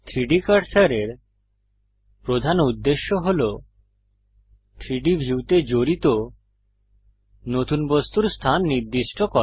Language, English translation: Bengali, The primary purpose of the 3D Cursor is to specify the location of a new object added to the 3D scene Go to ADD